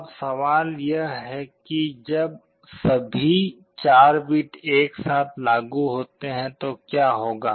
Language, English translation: Hindi, Now, the question is when all the 4 bits are applied together, what will happen